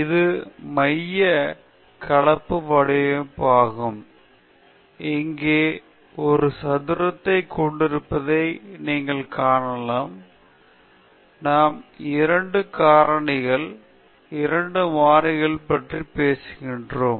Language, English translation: Tamil, This is the central composite design, you can see that we have a square here; we are talking about 2 factors, 2 variables